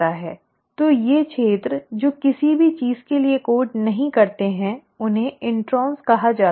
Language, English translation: Hindi, It is, so these regions which do not code for anything are called as the “introns”